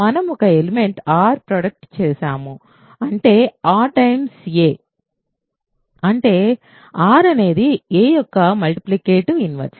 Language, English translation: Telugu, We have produced an element r such that r times a is 1 so; that means, r is the multiplicative inverse of a